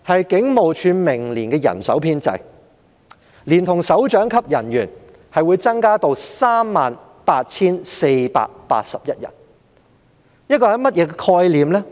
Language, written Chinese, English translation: Cantonese, 警務處明年的人手編制，連同首長級人員在內會增至 38,481 人。, The establishment of the Police Force including directorate officers will increase to 38 481 posts next year